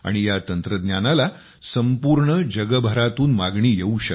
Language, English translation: Marathi, Demand for this technology can be all over the world